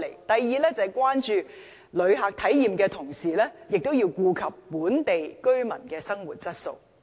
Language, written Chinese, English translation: Cantonese, 第二，就是關注旅客體驗的同時亦要顧及本地居民的生活質素。, Second while we should attach importance to the experience of visitors we should also be concerned about maintaining the quality of life of local residents